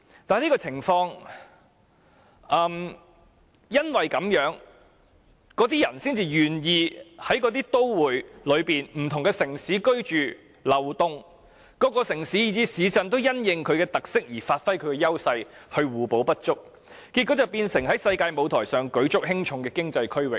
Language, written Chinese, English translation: Cantonese, 正因如此，人們才願意在都會區的不同城市居住和流動，各城市以至市鎮也因應其特色而發揮優勢，互補不足，結果成為在世界舞台舉足輕重的經濟區域。, Precisely for this reason people are willing to live in various cities in such metropolitan regions and move between those cities . Various cities and towns can play to their strengths having regard to their features and achieve complementarity . So they become important economic regions in the global arena